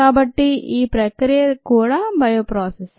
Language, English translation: Telugu, so this process also is a bio process